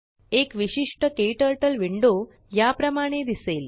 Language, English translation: Marathi, A typical KTurtle window looks like this